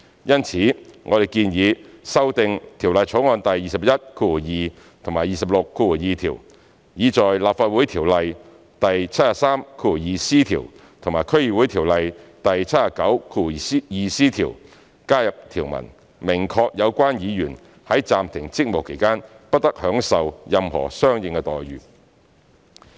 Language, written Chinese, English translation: Cantonese, 因此，我們建議修訂《條例草案》第212及262條，以在《立法會條例》第73條及《區議會條例》第79條加入條文，明確有關議員在暫停職務期間"不得享受任何相應待遇"。, Therefore we propose to amend clauses 212 and 262 to add provisions to section 732C of the Legislative Council Ordinance and section 792C of the District Councils Ordinance to specify that the member concerned must not enjoy any corresponding entitlements during the suspension of duties